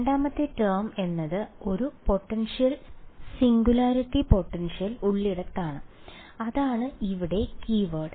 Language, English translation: Malayalam, Second term is where there is a potential singularity potential right that is the keyword over here